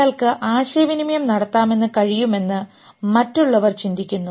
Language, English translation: Malayalam, The other one person is thinking he can communicate